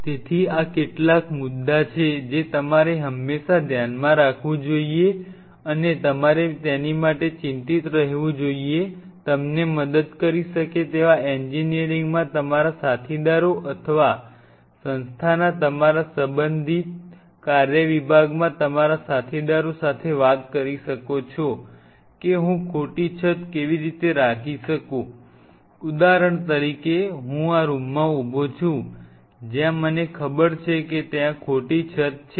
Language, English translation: Gujarati, So, these are some of the points what you always have to keep in mind even you have to be concerned from the word where you have to talk to your colleagues in engineering who may help you, or in your respective works department of the institute that how I can have a false roof like say for example, I am standing in this room where I know there is a false roof